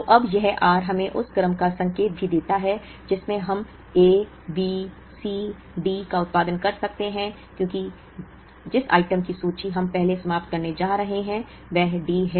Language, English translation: Hindi, So, now, this r also gives us an indication of the order in which we can produce A, B, C, D, because the item whose inventory we are going to exhaust first is D